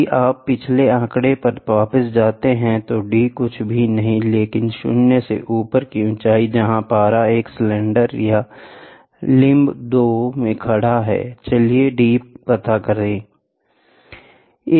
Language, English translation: Hindi, If you go back to the previous figure, small d is nothing but above 0 level to the height where mercury stands in a cylinder or limb 2, let me find out d